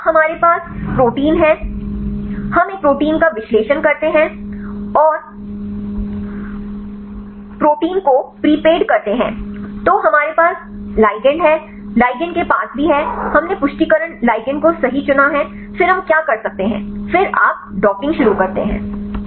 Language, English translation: Hindi, So, now we have the protein, we analyze a protein and prepaid the protein, then we have the ligand, ligand also we have choose the confirmation ligand right then what we can do then you start docking